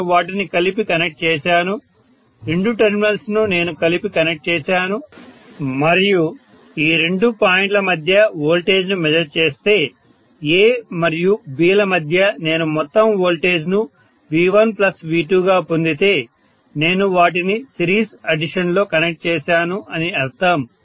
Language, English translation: Telugu, Let us say, now I connect these two in series, I have connected them together, two terminals I have connected together and if I measure the voltage between these two points, between A and B, if I get the overall voltage as V1 plus V2 that means I have connected them in series addition, if I get rather V1 minus V2 or V2 minus V1 whichever is higher, that means I have connected them in series opposition, I hope you have understand